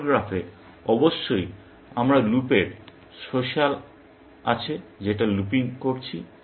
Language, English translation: Bengali, In the OR graph, of course, we have the social of loop, looping that